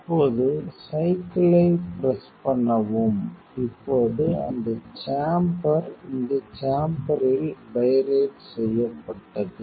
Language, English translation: Tamil, Now, press the cycle; now, that chamber is pirated in the chamber